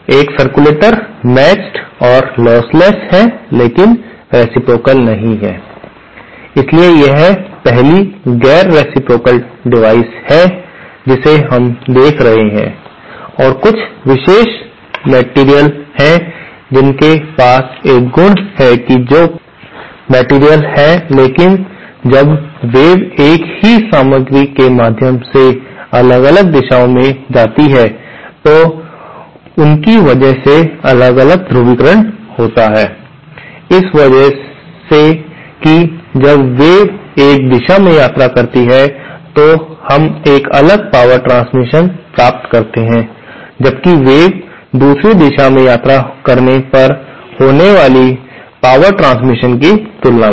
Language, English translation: Hindi, A circulator is matched and lossless but not reciprocal, so it is the 1st non reciprocal material that we are seeing and there are some special materials which have this property, which are passive materials but they kind of because of the different polarisations introduced when wave travelling in different directions through the same material, because of that, because of that when wave travels in one direction, we get a different power transfer as compared to the power transfer happening when the wave travels in the other direction